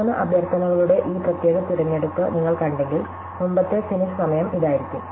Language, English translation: Malayalam, So, if we saw this particular selection of three requests, then the earliest finish time would be this one